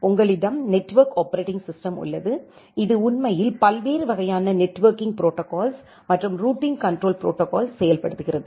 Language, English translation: Tamil, So, one of this type of hardwares on top of that, we have the network operating system that actually implements the different kind of networking protocols and routing control protocols